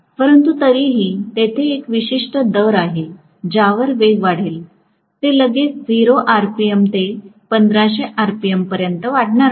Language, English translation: Marathi, But still there is a specific rate at which the speed will increase; it is not going to increase right away from 0 rpm to 1500 rpm